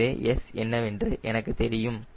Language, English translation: Tamil, so i know what is s